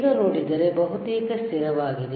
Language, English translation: Kannada, If you see now is almost constant, right